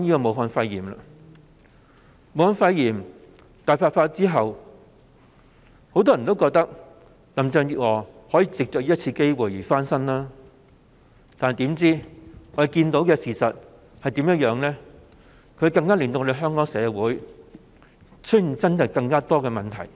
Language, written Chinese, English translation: Cantonese, 武漢肺炎大爆發後，很多人以為林鄭月娥可藉此機會翻身，但事實卻剛好相反，她反而令香港社會出現更多問題。, After the outbreak of Wuhan pneumonia pandemic many people thought that Carrie LAM might take this opportunity to turn over a new leaf but the opposite is true in that she has caused more problems in our society